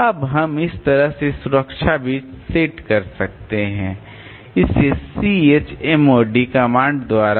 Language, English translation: Hindi, Now we can set the protection bits like this so by this command C H mode